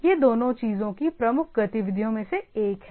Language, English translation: Hindi, These two are the primarily one of the major activities of the things